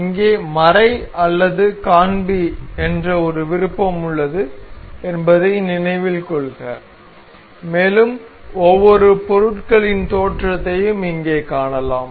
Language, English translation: Tamil, Note that there is a option called hide or show here and we can see the origins of each of the items being here present here